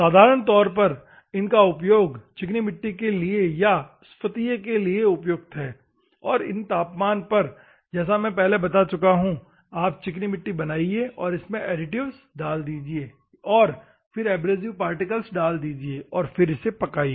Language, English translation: Hindi, Normally it is used or for the clay or feldspar and this temperature, as I already explained you just make clay then add the additives, then add the abrasive particles, then fire it